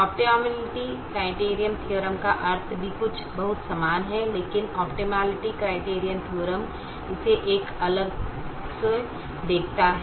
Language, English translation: Hindi, the optimality criterion theorem also means something very similar, but the optimality criterion theorem looks at it from a different angle